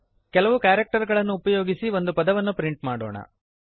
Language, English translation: Kannada, Let us print a word using a few characters